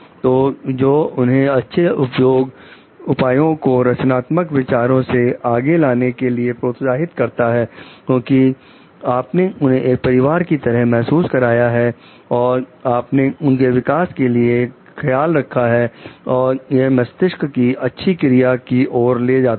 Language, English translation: Hindi, So, which encourages them to come up with creative ideas to come up with maybe better solutions because they you know like you have made them feel like a family, you have taken care for their growth and it like leads to better brain functioning